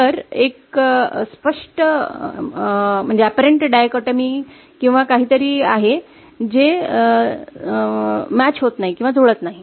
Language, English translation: Marathi, So there is an apparent dichotomy or something, it is not matching